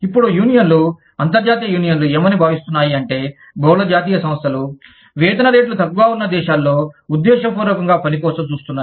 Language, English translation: Telugu, Now, the unions, the international unions feel, that multi national enterprises, deliberately look for work in countries, where the wage rates are low